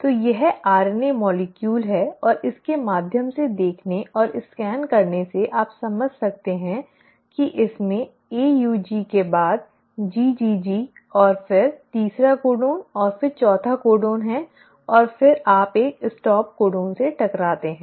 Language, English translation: Hindi, So this is the RNA molecule and by just looking and scanning through it you can understand that it has AUG followed by GGG then the third codon then the fourth codon and then you bump into a stop codon